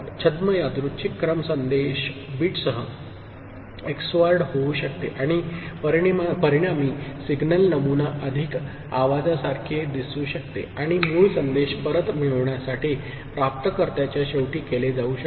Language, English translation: Marathi, The pseudo random sequences can XORed with the message bit and the resultant signal pattern would look more noise like, and the reverse can be done at the receiver end to get back the original message